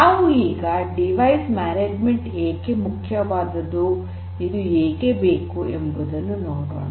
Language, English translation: Kannada, So, let us now look at why this device management is important